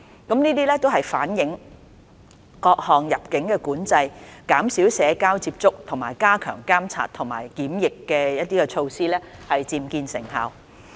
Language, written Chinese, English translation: Cantonese, 這反映各項入境管制、減少社交接觸和加強監察及檢疫的措施漸見成效。, This indicates that various immigration control social distancing and enhanced surveillance and quarantine measures are gradually delivering results